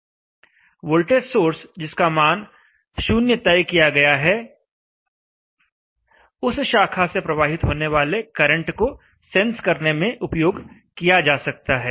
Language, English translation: Hindi, I have here a voltage source which is set to a value 0, voltage source set to a value 0 can be used for sensing the current through that branch